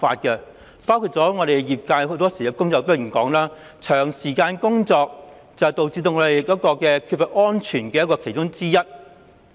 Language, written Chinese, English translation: Cantonese, 舉例來說，業界工友經常指出，長時間工作是影響作業安全的原因之一。, For example the trade workers often complain about long working hours which pose risks to operational safety